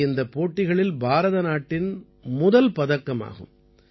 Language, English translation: Tamil, This is India's first medal in this competition